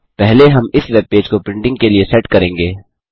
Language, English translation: Hindi, First lets set up this web page for printing